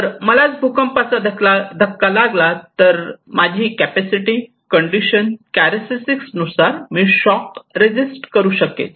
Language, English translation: Marathi, So, if I am hit by an earthquake, it depends on my capacity, on my conditions, my characteristics that how I can resist the shock